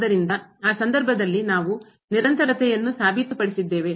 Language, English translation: Kannada, So, in that case we have proved the continuity